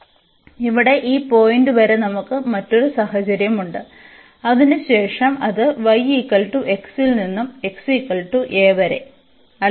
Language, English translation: Malayalam, So, up to this point here we have a different situation and after that it goes from y is equal to x and exit from x is equal to a